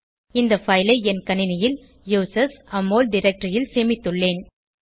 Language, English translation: Tamil, I had saved the file in users\Amol directory on my system